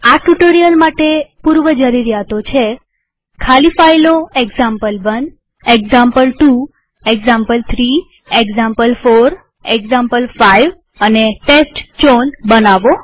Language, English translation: Gujarati, The prerequisite for this tutorial is to create empty files named as example1, example2, example3, example4, example5, and testchown